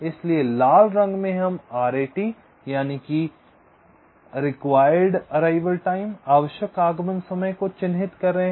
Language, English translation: Hindi, so in red we are marking r a t, required arrival time